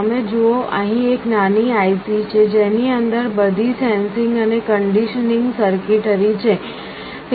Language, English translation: Gujarati, You see here there is a small IC that has all the sensing and conditioning circuitry inside it